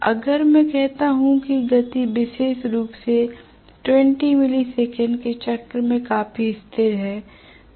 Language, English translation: Hindi, So if I say that the speed is fairly constant especially in a 20 milli second cycle